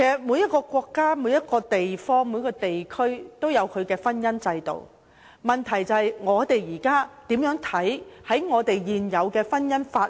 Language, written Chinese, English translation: Cantonese, 每個國家和地區都有其婚姻制度，問題是：我們認為是否需要遵從現有的婚姻法例？, Every country and region has its own marriage institution . The point is Do you consider it necessary to comply with the prevailing marital law?